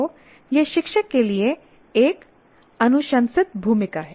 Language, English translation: Hindi, So, that is a recommended role for the teacher